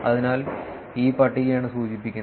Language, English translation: Malayalam, So, this table is the one that is referred